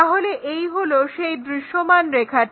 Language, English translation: Bengali, So, that visible line is this